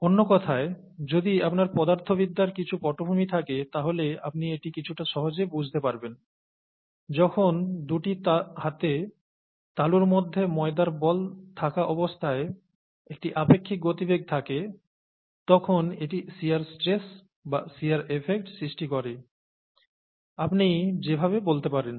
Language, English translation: Bengali, In other words, if you have some background in physics, you would understand this a little more easily when there is a relative velocity between the two palms with the dough ball caught in between, then it results in shear stress, or shear effects, as you can call